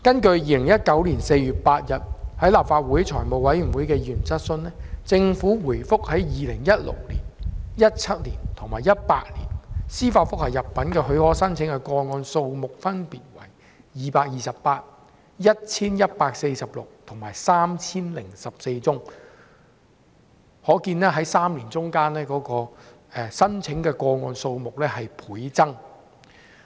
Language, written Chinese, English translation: Cantonese, 就2019年4月8日在立法會財務委員會的議員質詢，政府回覆，在2016年、2017年及2018年，司法覆核入稟的許可申請個案數目分別為228、1,146 及 3,014 宗，可見3年間的申請個案數目倍增。, In response to the questions raised by members of the Legislative Council Finance Committee on 8 April 2019 the Government advised that in 2016 2017 and 2018 the applications for leave to apply for judicial review was 228 1 146 and 3 014 respectively . This shows that the number of applications has multiplied in the past three years